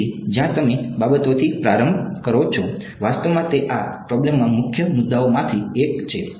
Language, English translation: Gujarati, So, where you start from matters right, actually that is one of the major issues in this problem